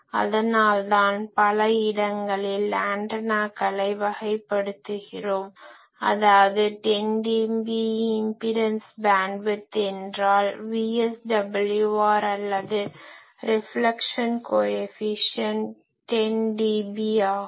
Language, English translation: Tamil, That is why we will see that many antennas people characterize ok; the 10dB impedance bandwidth; that means, our VSWR is or reflection coefficient 10dB